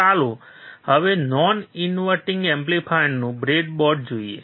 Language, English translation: Gujarati, So, let us now see the breadboard of the non inverting amplifier